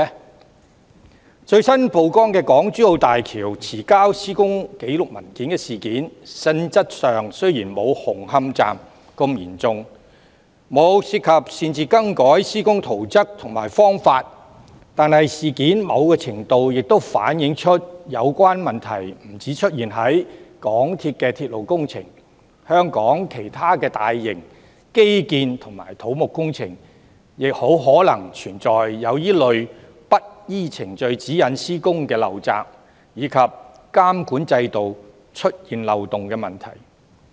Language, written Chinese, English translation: Cantonese, 在最新曝光的港珠澳大橋遲交施工紀錄文件的事件，性質雖然沒有紅磡站的事件那麼嚴重，沒有涉及擅自更改施工圖則和方法，但某程度上反映出有關問題不單出現在港鐵公司的鐵路工程，香港其他大型基建和土木工程很可能也存在這類不依程序指引施工的陋習，以及監管制度出現漏洞的問題。, In the incident of late submission of construction records of the Hong Kong - Zhuhai - Macao Bridge which has recently come to light its nature is not as serious as that of the incident relating to Hung Hom Station . Although it does not involve unauthorized alteration to works plans and methods to a certain extent it shows that such problems have emerged not only in the railway projects of MTRCL . In other large - scale infrastructural and civil engineering projects in Hong Kong such malpractices of non - compliance with procedural guidelines in the execution of works and loopholes in the monitoring system may also exist